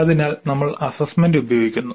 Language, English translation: Malayalam, So we are using the assessment